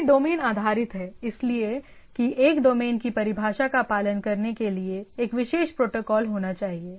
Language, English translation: Hindi, And there are as it is and here is domain based so, that a domain definition there should be a particular protocol to follow